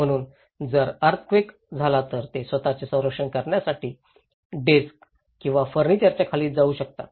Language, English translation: Marathi, So, if there is an earthquake, they can go under desk or furniture to protect themselves